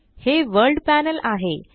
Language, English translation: Marathi, This is the World panel